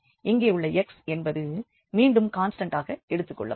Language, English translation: Tamil, So, here the x will be treated as constant again